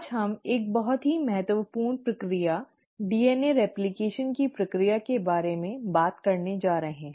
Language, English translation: Hindi, Today we are going to talk about a very important process, the process of DNA replication